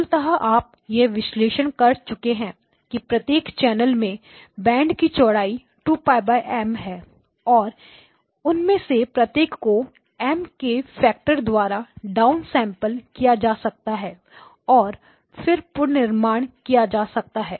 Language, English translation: Hindi, So basically you have the analysis filters each channel is each of them has bandwidth 2pi divided by M and each of them can be down sampled by a factor of M and then reconstructed